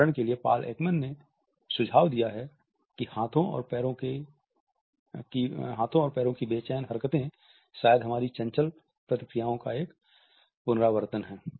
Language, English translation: Hindi, For example, Paul Ekman has suggested that restless movements of hands and feet are perhaps a throwback to our flight reactions